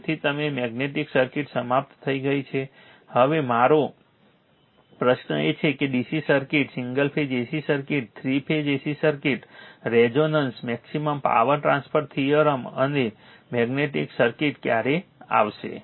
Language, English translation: Gujarati, So, now, magnetic circuit is over, now my question is that when you will come up to this listening that the DC circuit, single phase AC circuit, 3 phase AC circuit, resonance, maximum power transfer theorem and magnetic circuit